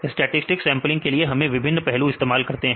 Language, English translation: Hindi, For the stochastic sampling, we used various aspects right